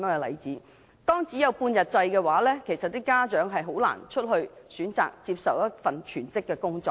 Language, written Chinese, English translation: Cantonese, 幼稚園只有半日制的話，家長將難以選擇全職工作。, Half - day kindergartens make it difficult for parents to work full - time